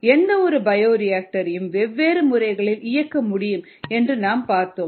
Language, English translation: Tamil, then we said that any bioreactor can be operated in different modes